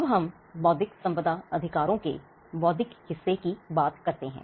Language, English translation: Hindi, Now, let us take the intellectual part of intellectual property rights